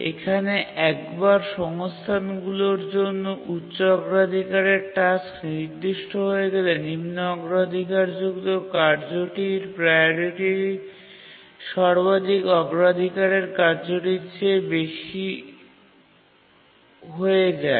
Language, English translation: Bengali, Here once the high priority task blocks for the resource, the low priority task's priority gets raised to the highest priority task in the queue